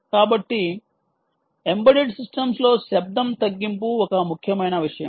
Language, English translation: Telugu, so noise reduction in embedded systems is an important thing